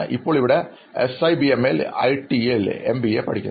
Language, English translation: Malayalam, Now I am here pursuing MBA in IT in SIBM